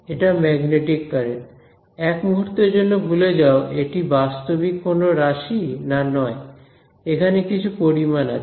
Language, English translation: Bengali, It is a magnetic current, forget for a moment whether it is physical not physical its some quantity over here